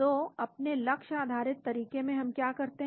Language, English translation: Hindi, So, in our target based approach what do we do